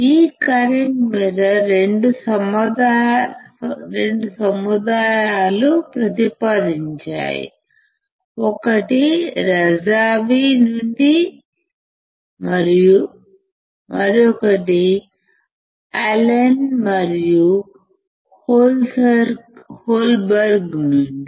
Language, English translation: Telugu, This current mirror were proposed by 2 groups one is from Razavi and another from Allen and Holberg